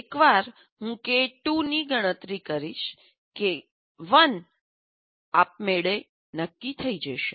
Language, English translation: Gujarati, And once I compute K2, K1 is automatically decided